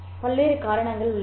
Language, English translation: Tamil, There are various reasons